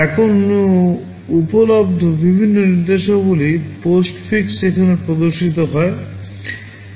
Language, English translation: Bengali, Now the various instruction postfix that are available are shown here